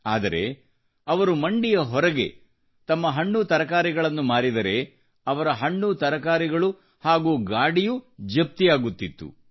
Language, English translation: Kannada, If he used to sell his fruits and vegetables outside the mandi, then, many a times his produce and carts would get confiscated